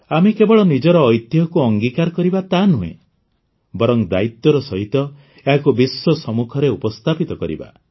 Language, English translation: Odia, Let us not only embrace our heritage, but also present it responsibly to the world